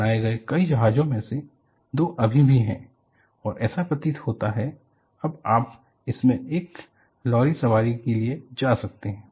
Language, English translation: Hindi, Out of the many ships fabricated, two still remain and it appears, now, you can go for a jolly ride in this